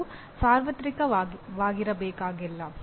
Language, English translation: Kannada, They are not necessarily universal